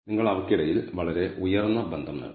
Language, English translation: Malayalam, So, you are getting very high association between them